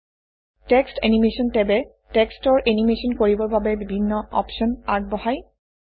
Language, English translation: Assamese, The Text Animation tab offers various options to animate text